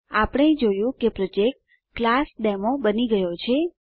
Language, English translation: Gujarati, We see that the Project ClassDemo is created